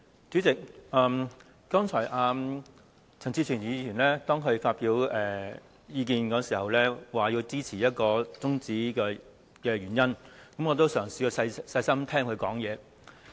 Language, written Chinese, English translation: Cantonese, 主席，剛才陳志全議員在發表意見時，解釋支持中止辯論的原因，我也嘗試細心聆聽他的發言。, President just now I had listened to Mr CHAN Chi - chuen carefully when he gave views on why he supported adjourning the debate . As I did not want to quote him wrongly I asked him for the script after listening to his speech